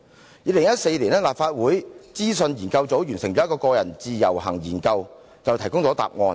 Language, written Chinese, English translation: Cantonese, 在2014年，立法會資料研究組一項有關個人自由行研究便就此提供了答案。, In 2014 a study on the Individual Visit Scheme conducted by the Research Office of the Legislative Council provided an answer to this question